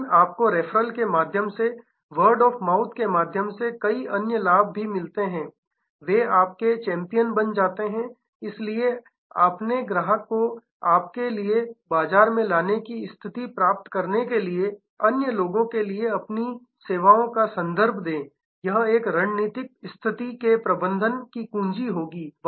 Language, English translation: Hindi, But, you also get several other benefits by way of referral by way of word of mouth they become your champion and therefore, attaining the status of getting your customer to market for you, refer your services to other people will be the key to managing a strategic situation